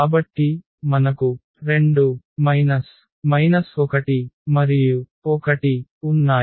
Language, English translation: Telugu, So, we have 2 minus 1 and 1